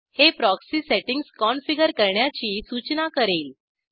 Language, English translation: Marathi, It will prompt you to configure the proxy settings